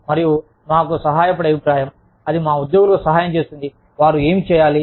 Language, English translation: Telugu, And, feedback that will help us, that will help our employees do, what they are required to do